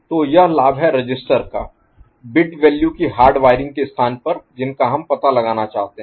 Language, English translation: Hindi, So, that is the advantage of having a register in place of hardwiring the bit values that we want to detect